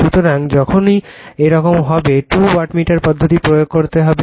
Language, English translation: Bengali, So, whenever whenever this, go for two wattmeter methods